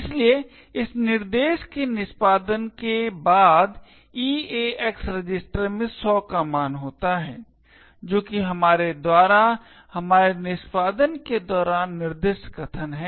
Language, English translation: Hindi, Therefore, after execution of this instruction the EAX register contains the value of 100 which is the argument that we specified during our execution over here